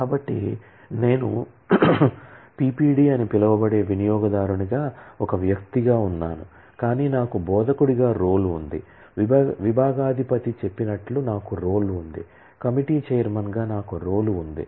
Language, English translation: Telugu, So, I have an entity as an individual say I may be user called PPD, but I have a role as an instructor, I have a role as say the head of the department, I have a role as a chairman of committee and so on